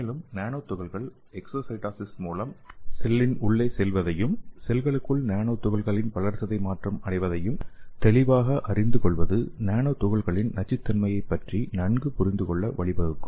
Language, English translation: Tamil, And also these elucidating the exocytosis mechanism and metabolism of nanoparticles in the cell could lead to a better understanding of nanoparticle toxicity